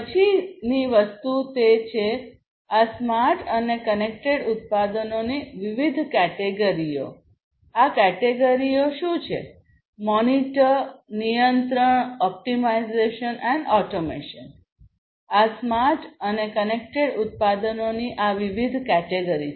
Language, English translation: Gujarati, The next thing is that; what are the different categories of these smart and connected products; monitor, control, optimization, and automation; these are these different categories of smart and connected products